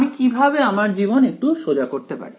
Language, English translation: Bengali, How can I make my life a little bit easier